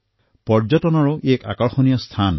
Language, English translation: Assamese, It is a very important tourist destination